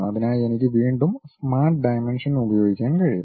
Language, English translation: Malayalam, For that again I can use smart dimension